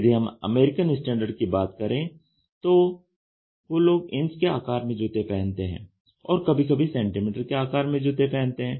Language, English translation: Hindi, If you go for or American Standards they talk about in terms of inches and sometimes they talk about in terms of centimetres